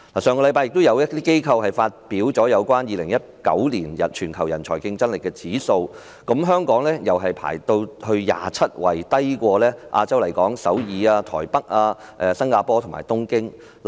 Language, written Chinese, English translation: Cantonese, 上星期亦有機構發表有關2019年全球人才競爭力指數，香港排名第二十七位，低於亞洲區的首爾、台北、新加坡和東京。, Last week another institute released the 2019 Global Talent Competitiveness Index . Hong Kong ranked 27 which is lower than Seoul Taipei Singapore and Tokyo in Asia